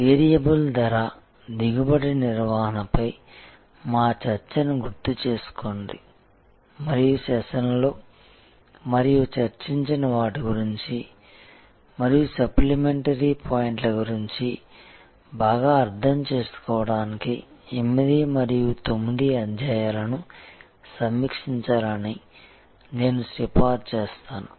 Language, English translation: Telugu, Remember, that our discussion on variable pricing, yield management and I would recommend that chapter 8th and 9 be reviewed to get a better understanding of what we have discussed and in the sessions and what are the supplementary points